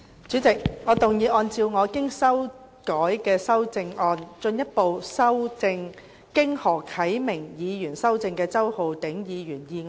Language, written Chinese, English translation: Cantonese, 主席，我動議按照我經修改的修正案，進一步修正經何啟明議員修正的周浩鼎議員議案。, President I move that Mr Holden CHOWs motion as amended by Mr HO Kai - ming be further amended by my revised amendment